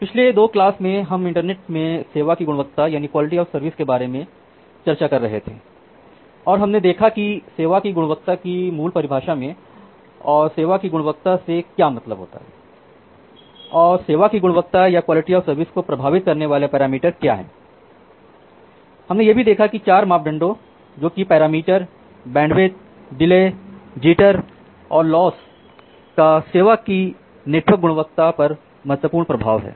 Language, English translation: Hindi, Welcome back to the course on Computer Network and Internet Protocols and in the last 2 class we were discussing about quality of service in the internet and we have looked into the basic definition of quality of service and what is mean by quality of service and what are the parameters that impact quality of service and we have seen that 4 parameters, a bandwidth delay jitter and loss they have an significant impact on the network quality of service